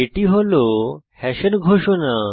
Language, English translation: Bengali, This is the declaration of hash